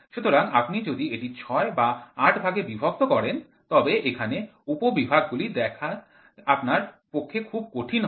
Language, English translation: Bengali, So, if you divide it into 6 or 8 divisions, so here the sub divisions will be 2 hard to you to see